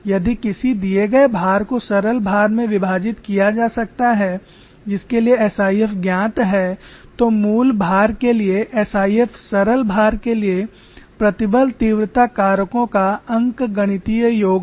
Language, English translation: Hindi, If a given loading can be split into simpler loadings for which SIF's are known, then SIF for the original loading is simply the arithmetic sum of stress intensity factors for simpler loadings